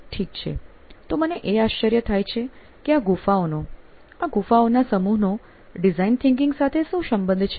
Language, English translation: Gujarati, Okay, so, I wonder what connection these caves, these set of caves, have, with design thinking